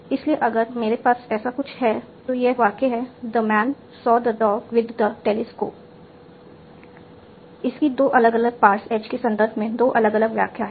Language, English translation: Hindi, So something if I have, so this sentence, the man's or the top with the telescope, it has two different interpretations in terms of two different passes